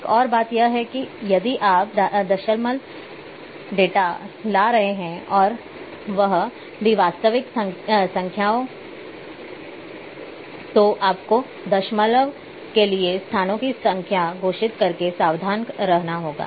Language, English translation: Hindi, One more thing is that if you are bringing the decimal data and that too is the real numbers then you have to be also careful by declaring the number of places after decimal